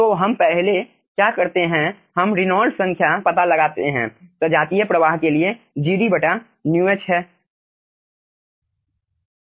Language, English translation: Hindi, we find out first the reynolds number for the homogeneous flow, which is nothing but gd by mu h